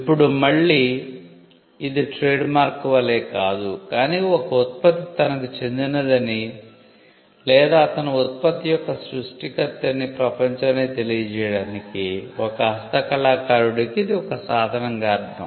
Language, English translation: Telugu, Now, again this was meant not as a trademark, but it was meant as a means for a craftsman to tell the world that a product belongs to him or he was the creator of the product